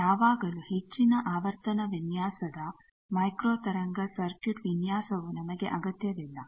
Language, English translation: Kannada, But always in even in high frequency design microwave frequency circuit designs we do not require